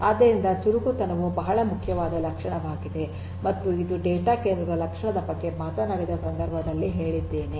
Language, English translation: Kannada, So, agility is a very important property and this is something that I talked about in the context of get the property of a data centre